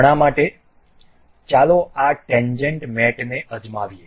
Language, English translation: Gujarati, For now let us try this tangent mate